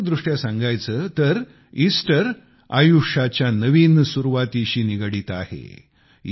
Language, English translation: Marathi, Symbolically, Easter is associated with the new beginning of life